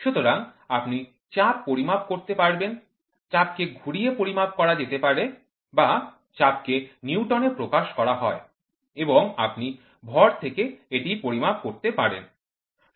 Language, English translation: Bengali, So, you can measure the forces, the force in turn can be measured or the force is expressed in Newtons and you can measure it from mass